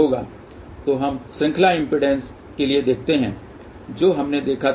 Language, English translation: Hindi, So, let us see for the series impedance, what we had seen